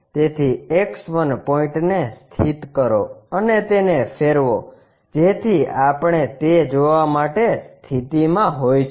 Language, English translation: Gujarati, So, fix this X1 point and rotate it so that we will be in a position to see that